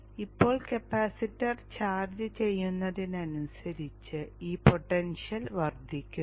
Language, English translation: Malayalam, Now as the capacitor is charging up, this potential is rising